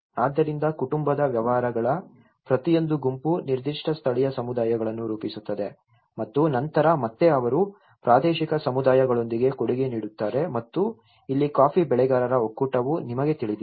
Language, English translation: Kannada, So each group of family businesses constitute a particular local communities and then again they contribute with the regional communities and this is where the coffee growers federation you know